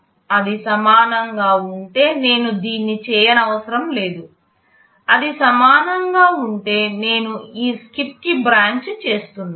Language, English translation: Telugu, If it is equal then I am not supposed to do this; if it is equal I am branching to this SKIP